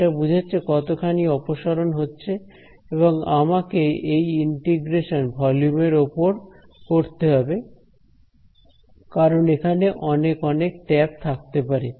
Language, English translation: Bengali, This is the how much it diverges and I have to do this integration over the volume because there could be lots and lots of taps right